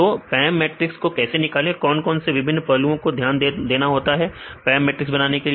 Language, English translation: Hindi, So, they how to derive the PAM matrix, what the various aspects we need to consider to derive the PAM matrix